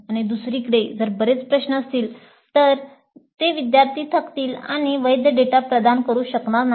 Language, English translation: Marathi, On the other hand, if there are too many questions, fatigue may sit in and students may not provide valid data